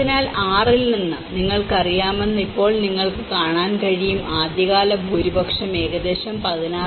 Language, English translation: Malayalam, So, now you can see that you know from 6, the early majority about 16